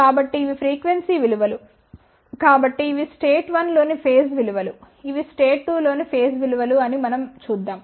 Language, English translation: Telugu, So, these are the phase values in state 1, these are the phase values in state 2 lets look at the difference